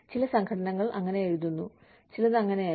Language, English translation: Malayalam, Some organizations write that, some do not